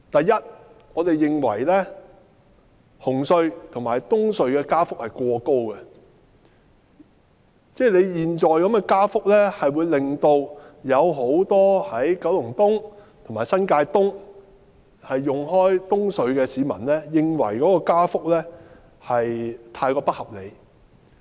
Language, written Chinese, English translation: Cantonese, 首先，我們認為紅磡海底隧道及東區海底隧道的加幅過高，很多九龍東及新界東慣常使用東隧的市民，都認為加幅太不合理。, First of all we consider that the fare increases for the Cross Harbour Tunnel CHT in Hung Hom and the Eastern Harbour Crossing EHC are too high and many Kowloon East and New Territories East residents who often use EHC consider the increase unreasonable